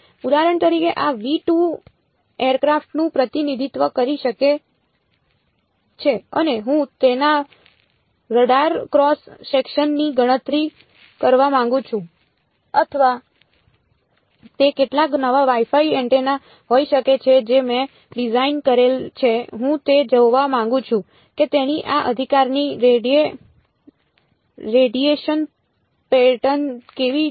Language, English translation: Gujarati, For example, this v 2 could represent an aircraft and I want to calculate its radar cross section or it could be some new Wi Fi antenna I have designed I want to see how its radiation pattern of this right